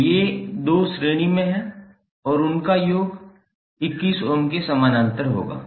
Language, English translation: Hindi, So these 2 are in series and their summation would be in parallel with 21 ohm